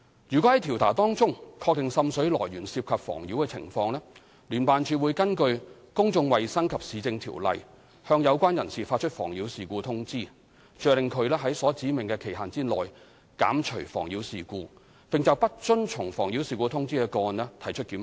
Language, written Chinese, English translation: Cantonese, 如果在調查中確定滲水來源涉及妨擾情況，聯辦處會根據《公眾衞生及市政條例》向有關人士發出"妨擾事故通知"，着令在所指明的期限內減除妨擾事故，並就不遵從"妨擾事故通知"的個案提出檢控。, Once the source of seepage and nuisance have been identified during investigation JO will issue nuisance notice to the person concerned under the Public Health and Municipal Services Ordinance Cap . 132 requiring the abatement of nuisance within a specified period of time and instigate prosecution against non - compliance with the nuisance notice